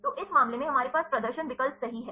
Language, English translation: Hindi, So, in this case we have a display option right